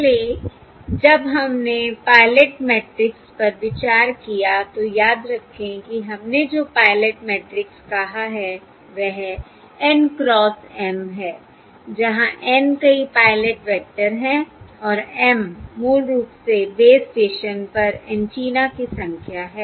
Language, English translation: Hindi, Previously, when we considered the pilot matrix, remember the pilot matrix we said is N cross M, where N is a number of pilot vectors and [a] M is basically the number of antennas at the base station